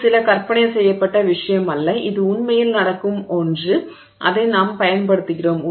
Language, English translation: Tamil, And this is not some imagined thing, this is really something that happens and we utilize it